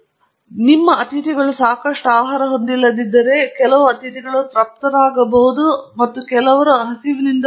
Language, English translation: Kannada, So, when you do not have enough food for your guests, then some guests may go satisfied and some others may go hungry